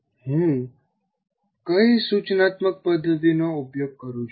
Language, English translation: Gujarati, What instructional method do I use